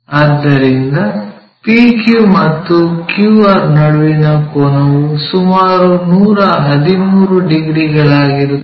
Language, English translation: Kannada, The PQ angle, so angle between PQ and QR which is around 113 degrees